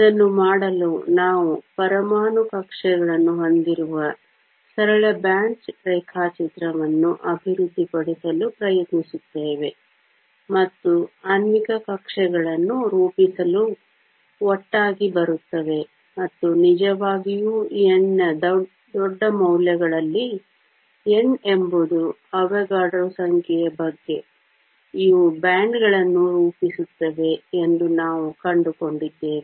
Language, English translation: Kannada, In order to do that, we try to develop a simple band diagram where we have atomic orbitals that come together to form molecular orbitals and at really large values of n, where n is about Avogadro’s number, we found that these form bands